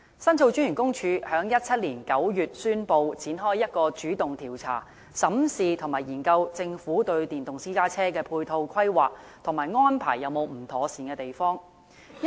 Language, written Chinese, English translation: Cantonese, 申訴專員公署在2017年9月宣布展開一項主動調查，審視和研究政府對電動私家車的配套規劃，以及安排是否有不妥善之處。, The Office of The Ombudsman announced in September 2017 that it would launch a direct investigation to look at and study the Governments planning for providing ancillary facilities to electric private cars